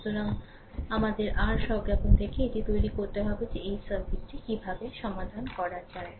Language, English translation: Bengali, So, we have to from your intuition you have to make it that how to solve this circuit